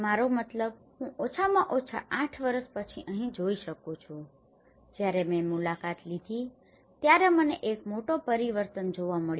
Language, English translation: Gujarati, I mean, I can see here at least after eight years, when I visited I could see a tremendous change